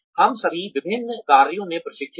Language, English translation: Hindi, We are all trained in various functions